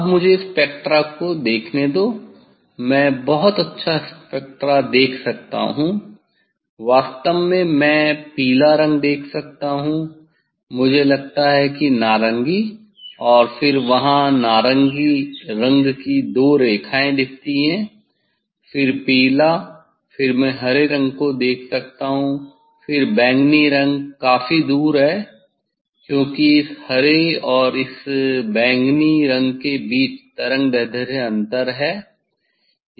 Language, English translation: Hindi, now let me see the spectra I can see very nice spectra, actually I can see yellow, I think orange and then orange looks 2 lines there, then yellow then I can see green, then violet is there is quite fares because, this wavelength difference is between the green and this violet